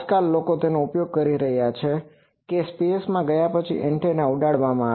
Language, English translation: Gujarati, Nowadays, people are using that that after going to space antenna will be flown